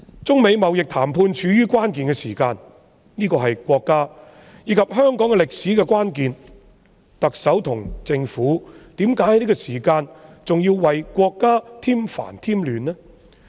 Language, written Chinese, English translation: Cantonese, 中美貿易談判處於關鍵時刻，這是國家和香港歷史上的關鍵，特首和政府在這個時候為何還要為國家添煩添亂呢？, The United States - China trade negotiations have entered a critical stage . This is a pivotal point in the history of the State and Hong Kong why should the Chief Executive and the Government stir up more troubles for the State at this moment?